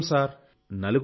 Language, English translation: Telugu, We are four people Sir